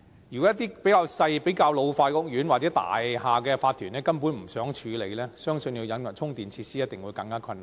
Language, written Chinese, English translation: Cantonese, 如果一些較小和老化的屋苑，又或大廈的法團根本不想處理，相信要引入充電設施必定更為困難。, If for those smaller or old housing estates or those Incorporated Owners of buildings which simply do not want to take care of it it is believed that the introduction of charging facilities will surely be more difficult